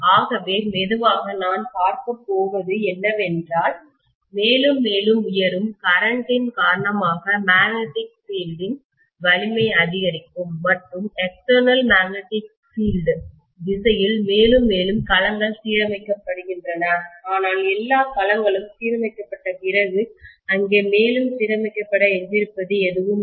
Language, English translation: Tamil, So I am going to see that slowly as the strength of the magnetic field increases due to higher and higher current I am going to have more and more domains aligned along the direction of the external magnetic field, but after all the domains are aligned, there is nothing that is left over to be aligned further